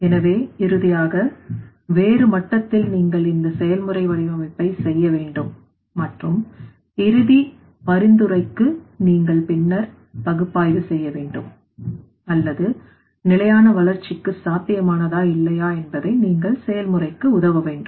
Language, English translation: Tamil, So finally, at a different level you have to do this process design and for the final recommendation you have to then analyze or you have to assist the process whether it should be feasible for the sustainable development or not